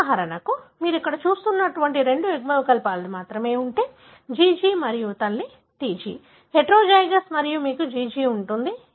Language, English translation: Telugu, For example, if you have only two alleles like what you see here GG and mother is TG, heterozygous and you have GG